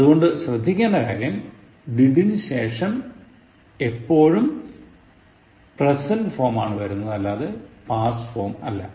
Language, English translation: Malayalam, So, be careful like after did, it is always in the present form, not in the past form